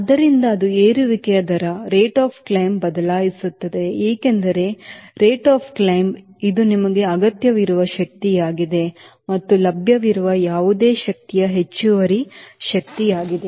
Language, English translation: Kannada, so that will change the rate of climb because you know rate of climb is this is the power required and whatever power available this is excess power